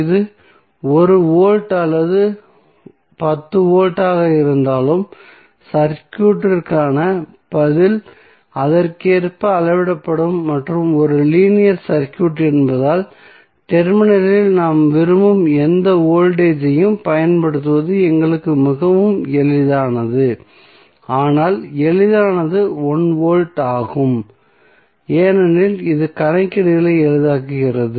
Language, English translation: Tamil, Generally we set v naught equal to 1 because it will be easier for our calculation and since the circuit is linear that means that we follow the homogeneity concept so whether it is 1 volt or 10 volt the response of the circuit will be scaled up accordingly and being a linear circuit it is very easy for us to apply any voltage which we want across the terminal but the easiest is 1 volt because it makes calculations easier